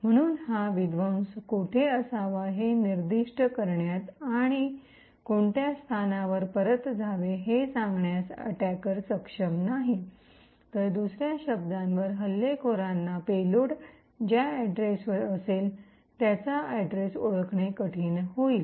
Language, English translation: Marathi, Therefore, the attacker would not be able to specify where the subversion should occur and to which location should the return be present, on other words the attacker will find it difficult to actually identify the address at which the payload would be present